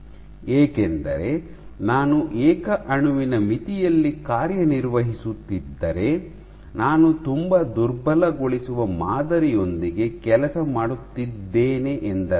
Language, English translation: Kannada, If I because if I am operating at the single molecule limit I am working with a very dilute specimen